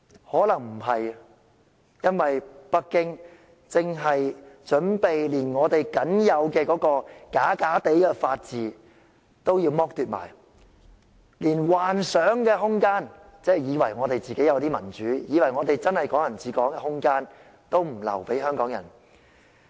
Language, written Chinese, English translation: Cantonese, 可能沒有，因為北京正準備剝奪我們僅有的虛假法治，連幻想空間——以為我們有真正的民主，真的是"港人治港"——都不留給香港人。, Probably not as Beijing is prepared to deprive us of our remaining bogus rule of law not even leaving us any room of imagination―imagine that we have genuine democracy and truly Hong Kong people ruling Hong Kong